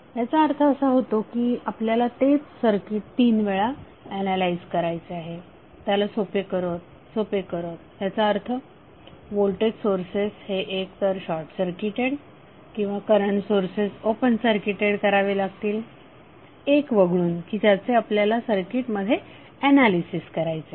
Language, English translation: Marathi, So it means that the same circuit you have to analyze 3 times by making them simpler, simpler means the current voltage sources would be either short circuited or current source would be open circuited and voltage source would be open circuited except 1 which you are going to analyze in that circuit